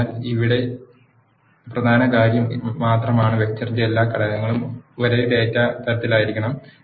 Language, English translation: Malayalam, So, only key thing here is all the elements of a vector must be of a same data type